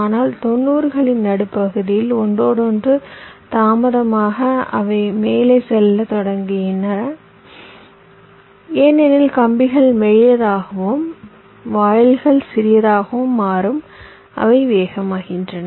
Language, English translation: Tamil, but in the mid nineties the interconnection delays, well, they started to go up because the wires become thinner and also the gates become smaller, they become faster